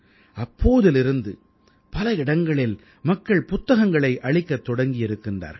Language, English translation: Tamil, Since then, people have been offering books at many a place